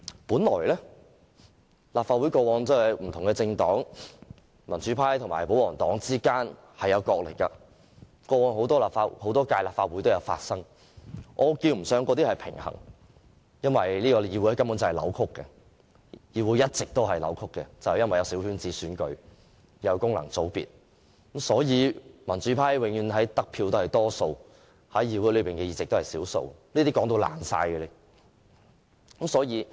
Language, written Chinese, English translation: Cantonese, 本來立法會內民主派和保皇黨之間角力，過往很多屆立法會也有發生，那稱不上是平衡，因為這個議會根本一直是扭曲的，有功能界別的小圈子選舉，民主派得票永遠是多數，但在議會裏的議席卻是少數，這情況已經說了很多次。, Struggles between pro - democracy and pro - Government Members in the Legislative Council have always existed in many previous terms of the Legislative Council . It should not be called a balance because as already said repeatedly the Council has always been distorted with the coterie election of functional constituencies under which the pro - democracy camp is always the minority in terms of seats while it actually won the majority of public votes